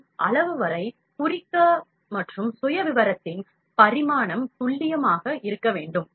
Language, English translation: Tamil, And, up to the size, up to size, up to mark and dimension of the profile should be accurate